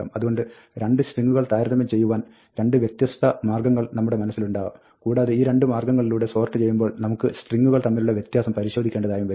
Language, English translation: Malayalam, So, when comparing strings, we may have 2 different ways of comparing strings in mind, and we might want to check the difference, when we sort by these 2 different ways